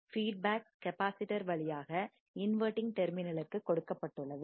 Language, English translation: Tamil, Feedback is given through capacitor to the inverting terminal